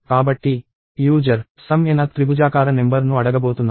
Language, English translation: Telugu, So, the user is going to ask for sum n th triangular number